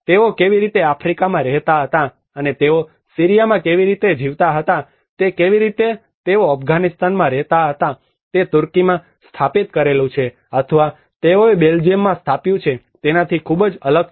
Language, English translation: Gujarati, How they were living in Africa and how they were living in Syria how they were living in Afghanistan is very much different in what they have set up in Turkey or what they have set up in Belgium